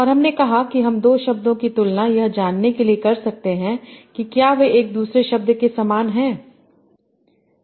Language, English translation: Hindi, And we said that how we can compare two words to find out if they are more similar than another pair of words